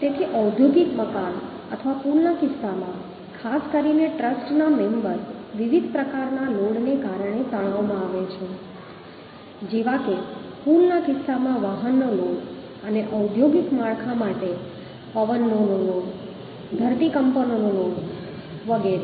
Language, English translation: Gujarati, So in case of industrial building or bridges, particularly trust members, members are subjected to tension because of different type of loads, including vehicle load in case of bridges and wind load, earthquake load for industrial structure, etc